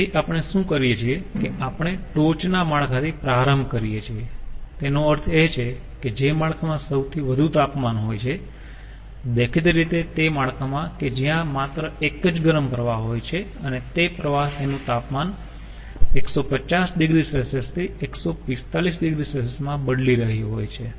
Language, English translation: Gujarati, ah, we start with the topmost network, that means the network which is having the highest temperature, obviously the network ah, where there is only one hot stream and it is changing its temperature from one fifty to one forty five degree celsius